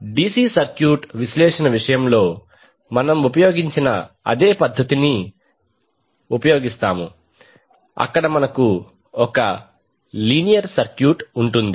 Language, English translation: Telugu, We will use the same technique which we used in case of DC circuit analysis where we will have one circuit linear circuit